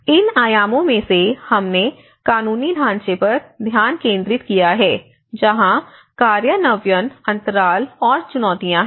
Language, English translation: Hindi, There is also one of the other dimensions which we focused on the legal framework where there has been an implementation gaps and challenges